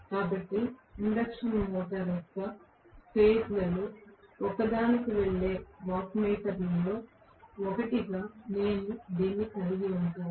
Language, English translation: Telugu, So, I am going to have actually this as 1 of the wattmeters which is going to one of the phases of the induction motor